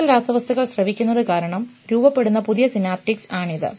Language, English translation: Malayalam, So, this is before learning and this is the new synaptics that are formed because, the more chemicals are secreted